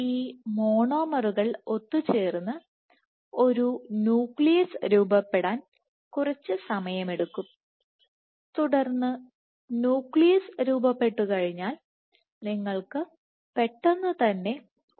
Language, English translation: Malayalam, So, it takes quite some time for these monomers to come together form a nucleus and then once the nucleus is formed you have quick formation of a filament